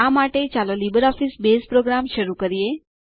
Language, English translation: Gujarati, For this, let us invoke the LibreOffice Base program